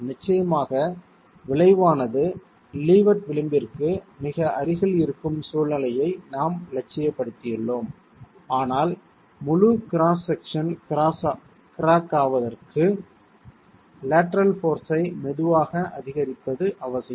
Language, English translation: Tamil, Of course we have idealized a situation where the resultant is very close to the levered edge but for the entire cross section to crack a slow increase in the lateral force is essential